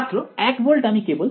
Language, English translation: Bengali, 1 volt I will just